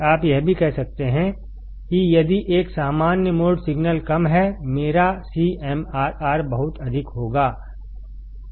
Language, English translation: Hindi, You can also say that if a common mode signal is low; my CMRR would be extremely high